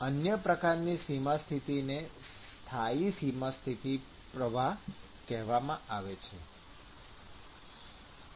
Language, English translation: Gujarati, Another type of boundary condition is called the constant flux boundary condition